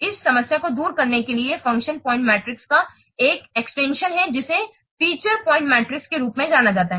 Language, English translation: Hindi, In order to overcome this problem, an extension to the function point metric is there, which is known as feature point metric